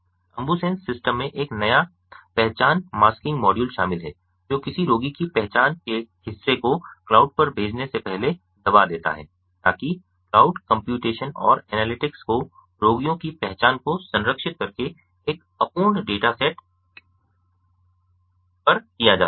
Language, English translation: Hindi, the ambusens system incorporates a novel identity masking module which suppresses the part of a patients identity ah before sending it to the cloud, so that cloud computation and analytics can be carried out on a incomplete data set clear by preserving the patients identity